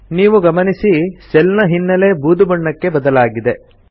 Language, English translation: Kannada, You can see that the cell background for the headings turns grey